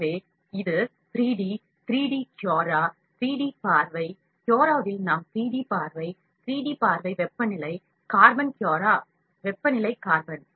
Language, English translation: Tamil, So, this is 3D, 3 D Cura, 3D view, in Cura in the sense we have 3D view, 3D view temperature carbon Cura, temperature carbon